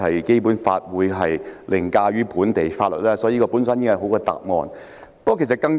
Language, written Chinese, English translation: Cantonese, 《基本法》當然凌駕於本地法例，因此司長的答覆已經很好。, The Basic Law certainly overrides local legislation so the Chief Secretarys reply is good enough